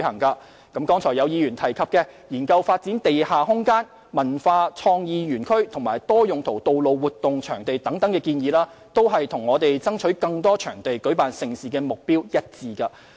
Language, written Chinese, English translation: Cantonese, 剛才有議員建議政府應研究發展地下空間、文化創意園區和多用途道路活動場地等，這都與我們爭取更多場地舉辦盛事的目標一致。, Just now a Member proposed that the Government should explore the development of underground space cultural and creative parks and multi - purpose venues for holding road events and so on . All these are consistent with our goal of striving for more venues to host mega events